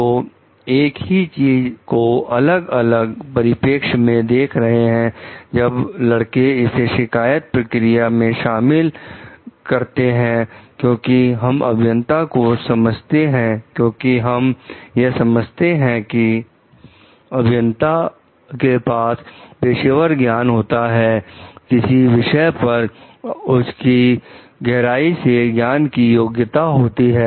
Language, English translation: Hindi, So, looking at one thing from a different perspective, then boys embrace it to the complaint procedure because we understand like the engineers having; because we understand like the engineers having a professional knowledge, competency like in depth knowledge about a particular subject matter